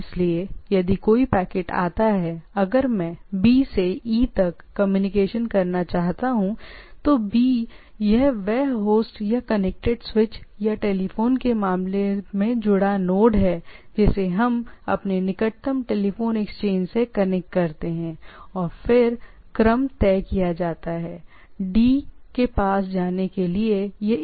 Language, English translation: Hindi, So, if a packets come, if I want to communicate from B to E, so, B is this is the host or the connected switch or the connected node in case of telephone we connect to our nearest telephone exchange and then it decides in order to go to D which path it should follow, right